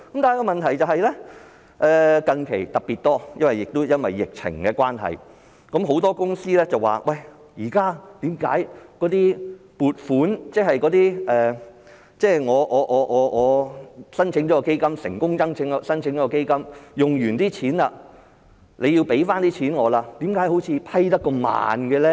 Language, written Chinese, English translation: Cantonese, 但是，問題是最近特別多——亦因為疫情的關係——很多公司便問為何現時的撥款申請，即是我成功申請基金，我所花的錢政府要撥回給我，為何審批那麼慢呢？, However the problem is becoming more serious lately especially as a result of the current epidemic many companies have queried the exceedingly long procedures involved for vetting and approving applications for funds